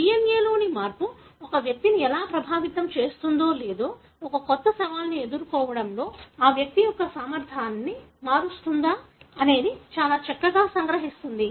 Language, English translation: Telugu, That pretty much summarizes how a change in the DNA can affect an individual or alter an individual’s ability to cope up with a new challenge